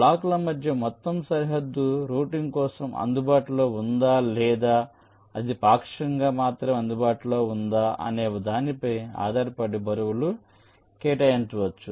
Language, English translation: Telugu, so weights can be assigned accordingly, depending on whether the whole boundary between the blocks are available for routing or it is only partially available, right